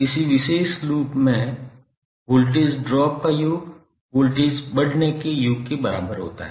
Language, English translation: Hindi, That sum of the voltage drops in a particular loop is equal to sum of the voltage rises